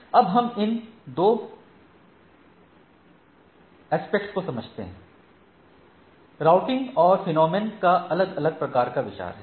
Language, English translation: Hindi, Now, as we understand these 2 aspects has 2 routing and phenomena has different type of consideration so right